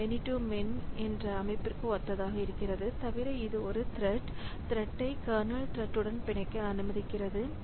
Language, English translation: Tamil, So, it is similar to many to many except that it allows a user thread to be bound to kernel thread